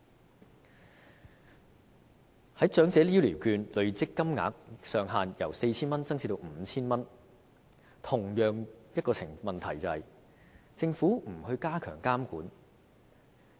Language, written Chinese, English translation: Cantonese, 關於長者醫療券累積金額上限由 4,000 元增至 5,000 元，這裏出現同樣問題，也就是政府並無加強監管。, With regard to increasing the accumulation limit of Elderly Health Care Vouchers from 4,000 to 5,000 we can see the same problem that is the Government has failed to step up monitoring